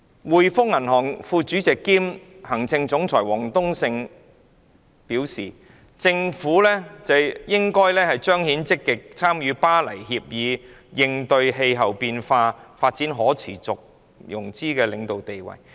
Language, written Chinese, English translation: Cantonese, 滙豐銀行副主席兼行政總裁王冬勝表示，政府計劃發行綠色債券，彰顯本港積極參與《巴黎協議》以應對氣候變化，發展可持續融資的領導地位。, Peter WONG the Deputy Chairman and Chief Executive of The Hongkong and Shanghai Banking Corporation Limited said the Governments plan to issue green bonds demonstrated Hong Kongs active participation in the Paris Agreement to address climate change and develop a leading role in sustainable financing